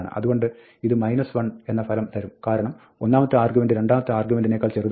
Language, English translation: Malayalam, So, this will result in minus 1, because, the first argument is smaller than the second argument